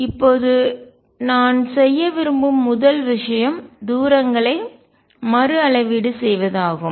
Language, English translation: Tamil, Now, first thing I want to do is rescale the distances